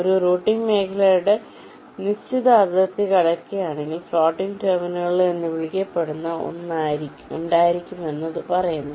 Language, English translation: Malayalam, it says that if a net is crossing the given boundary of a routing region, then there can be something called floating terminals